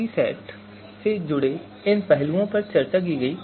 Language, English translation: Hindi, So these aspects related to fuzzy set were discussed